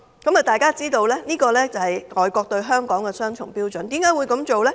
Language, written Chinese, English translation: Cantonese, 這樣大家便知道，這是外國對香港的雙重標準。, So we can see how foreign countries hold a double - standard on Hong Kong